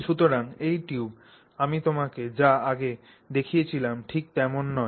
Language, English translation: Bengali, So, this tube is not the same as what I previously showed you